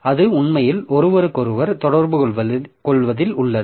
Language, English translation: Tamil, So, it is actually there in communication with each other